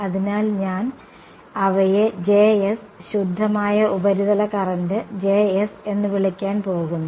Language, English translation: Malayalam, So, I am going to I can call those as J s pure surface current J s